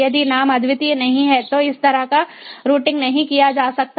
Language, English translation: Hindi, if the name is not unique, then this kind of routing cannot be done